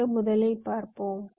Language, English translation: Tamil, lets first see